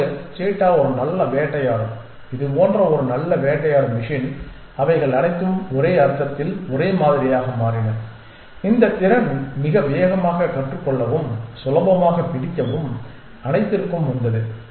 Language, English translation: Tamil, Now, the cheetah was such a good predator such a good hunting machine that they all became similar in a sense this capacity to learn very fast and catch free came in all